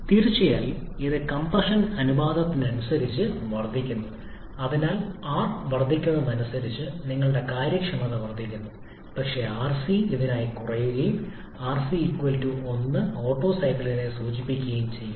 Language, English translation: Malayalam, Of course, it increases with compression ratio, so your efficiency, it increases with as r increases but rc has to decrease for this and rc=1 refers to the Otto cycle